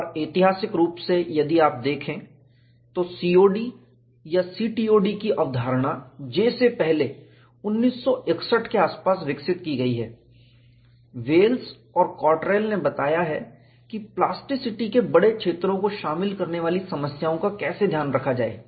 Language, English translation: Hindi, Rice and historically, if you look at, the concept of COD or CTOD has been developed earlier than J; around 1961, Wells and Cottrell have reported, how to account for problems involving larger zones of plasticity